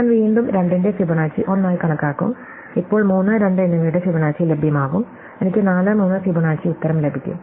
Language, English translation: Malayalam, So, I will again compute Fibonacci of 2 as 1 and now with both Fibonacci of 3 and 2 are available, I will get the answer Fibonacci of 4 and 3